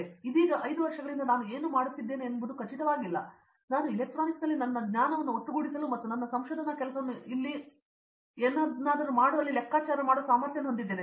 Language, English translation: Kannada, So, 5 years from now I am not really sure exactly this is what I would be doing, but I see that I would be able to figure out something where I can put together my knowledge in electronics as well as my research work here to work out something like one of the colleagues said why don’t you set up something